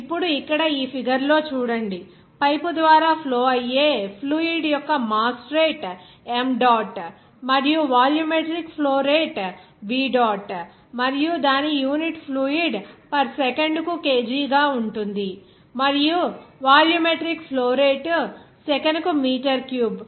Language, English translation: Telugu, Now here see in this figure that mass flow rate of the fluid that is flowing through the pipe as m dot and volumetric flow rate as V dot and its unit will be kg of fluid per second that is kg per second and volumetric flow rate will be meter cube per second that is meter per second there